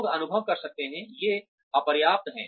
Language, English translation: Hindi, People may perceive, these to be inadequate